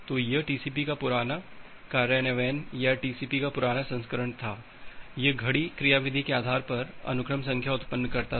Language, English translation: Hindi, So, that was the first implementation of TCP or the earlier version of the TCP, it used the sequence it used to generate the sequence number based on a clock mechanism